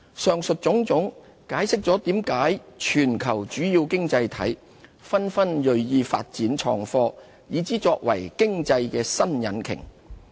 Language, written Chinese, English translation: Cantonese, 上述種種，解釋了為何全球主要經濟體紛紛銳意發展創科，以之作為經濟新引擎。, This explains why major economies over the world all strive to develop IT and regard it as the new driver of economic growth